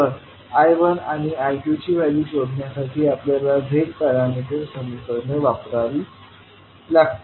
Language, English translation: Marathi, We have to use the Z parameter equations to find out the values of I1 and I2